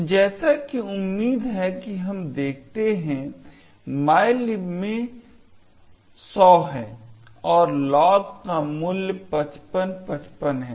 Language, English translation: Hindi, So, as expected we would see in mylib is 100 and the value of log is 5555